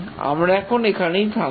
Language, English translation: Bengali, We'll stop now